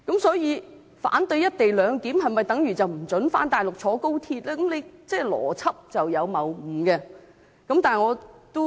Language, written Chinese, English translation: Cantonese, 所以，如果反對"一地兩檢"的人不獲准返大陸及乘搭高鐵，邏輯上便有謬誤了。, Thus suggesting that those who oppose the co - location arrangement should not be allowed to take XRL is illogical